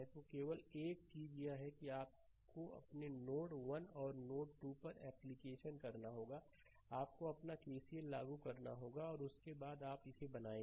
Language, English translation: Hindi, So, only thing is that that you have to apply your at node 1 and node 2, you have to apply your ah KCL right and after that you make it